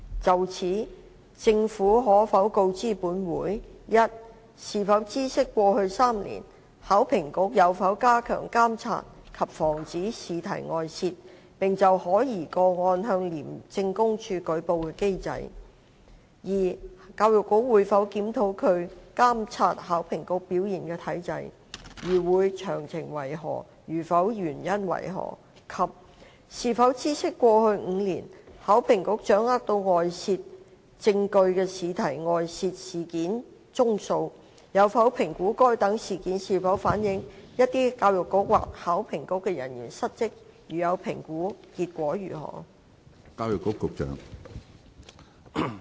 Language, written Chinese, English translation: Cantonese, 就此，政府可否告知本會：一是否知悉過去3年，考評局有否加強監察及防止試題外泄，並就可疑個案向廉政公署舉報的機制；二教育局會否檢討它監察考評局表現的機制；如會，詳情為何；如否，原因為何；及三是否知悉過去5年，考評局掌握到外泄證據的試題外泄事件宗數；有否評估該等事件是否反映有一些教育局或考評局的人員失職；如有評估，結果為何？, In this connection will the Government inform this Council 1 whether it knows if HKEAA in the past three years enhanced the mechanism for monitoring and preventing the leak of examination papers as well as for reporting suspected cases to the Independent Commission Against Corruption; 2 whether the Education Bureau EDB will review the mechanism for its monitoring the performance of HKEAA; if EDB will of the details; if not the reasons for that; and 3 whether it knows the number of incidents of a leak of examination papers in the past five years in which HKEAA had obtained evidence on the leak; whether it has assessed if such incidents have reflected a dereliction of duty on the part of the personnel of EDB or HKEAA; if it has assessed of the outcome?